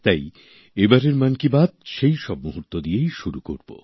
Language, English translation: Bengali, Let us hence commence Mann Ki Baat this time, with those very moments